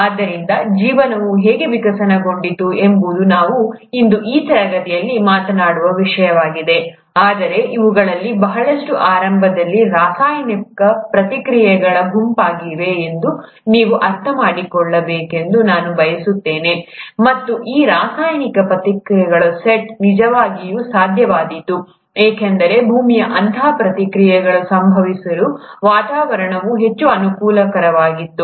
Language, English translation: Kannada, So, how did the life evolve is something that we’ll talk in this class today, but I want you to understand that a lot of this was initially a set of chemical reactions, and these set of chemical reactions were actually possible because the earth’s atmosphere was highly conducive for such reactions to happen